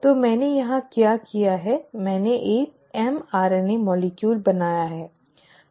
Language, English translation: Hindi, So what I have done here is I have drawn a mRNA molecule